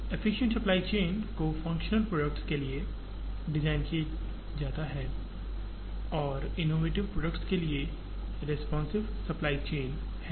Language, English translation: Hindi, The efficient supply chain is to be designed for what are called functional products and the responsive supply chain is for the innovative products